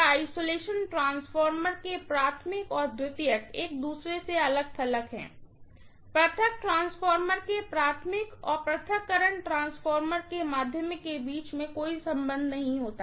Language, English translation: Hindi, The primary and secondary of the isolation transformer are isolated from each other, there is no connection directly between the ground of the primary of the isolation transformer and the secondary of the isolation transformer